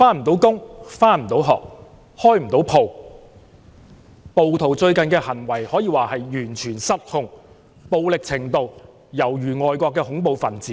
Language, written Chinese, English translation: Cantonese, 暴徒最近的行為可說是完全失控，暴力程度猶如外國的恐怖分子。, The recent conduct of the rioters is completely out of control and the extent of violence is comparable to that of terrorists